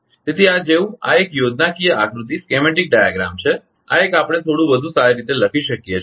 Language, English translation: Gujarati, So, this one this like this is a schematic diagram right this one we can write in little bit better way right